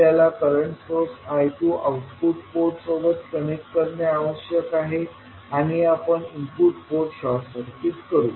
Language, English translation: Marathi, We have to connect a current source I2 to the output port and short circuit the input port